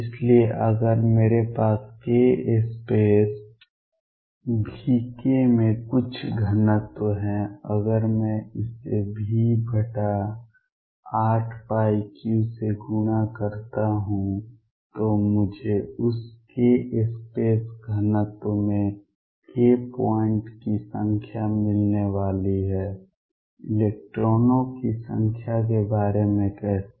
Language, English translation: Hindi, So, if I have a some volume k space v k if I multiply that by v over 8 pi cubed I am going to get the number of k points in that k space volume, how about the number of electrons